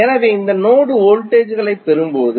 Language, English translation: Tamil, So, when we get these node voltages